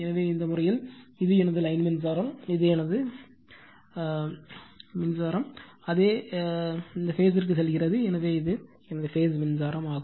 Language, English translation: Tamil, So, in this case, this is my line current, this is my line current, same current is going to this phase, so this is my phase current